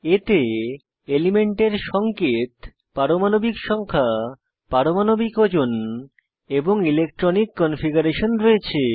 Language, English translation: Bengali, * It has Symbol of the element, * Atomic number, * Atomic weight and * Electronic configuration